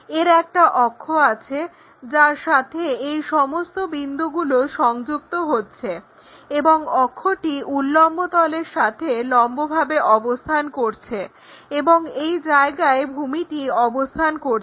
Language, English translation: Bengali, So, having apex all these points are going to connected there and axis perpendicular to vertical plane and one of the base is resting